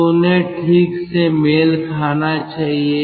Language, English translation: Hindi, so they should match properly